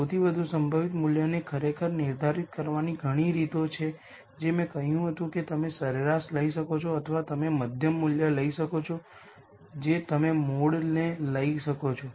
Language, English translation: Gujarati, There are many ways of actually defining the most likely value the simplest is what I said you could take the average or you could take the median value you could take a mode and so on